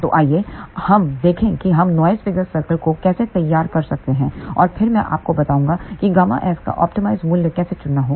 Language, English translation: Hindi, So, let us look at how we can plot the noise figure circle and then I will tell you how to choose the optimum value of gamma s